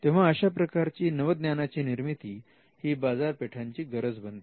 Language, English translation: Marathi, Now, the production of new knowledge in that case becomes a market necessity